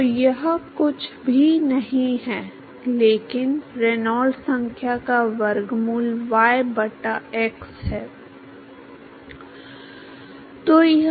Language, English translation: Hindi, So, that is nothing, but square root of Reynolds number into y by x